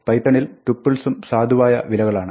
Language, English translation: Malayalam, On python, tuples are also valid values